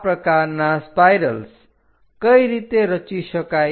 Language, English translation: Gujarati, How to construct such kind of spirals